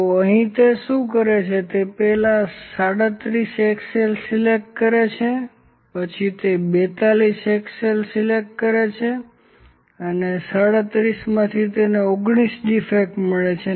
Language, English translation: Gujarati, He first picks 37 axles, then he picks 42 axles and out of 37 he finds that there are19 defects are there